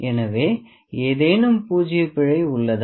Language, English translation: Tamil, So, is there any zero error